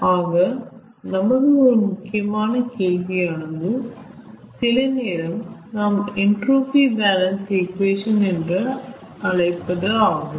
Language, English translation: Tamil, sometimes we call it a entropy balance equation